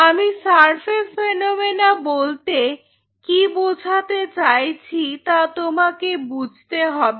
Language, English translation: Bengali, So, you have to realize what I meant by surface phenomena